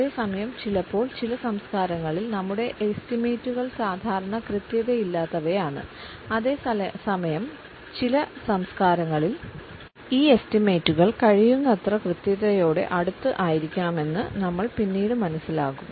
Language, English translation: Malayalam, And at the same time sometimes in certain cultures our estimates can be normally imprecise whereas, in some cultures as we will later see these estimates have to be as close to precision as possible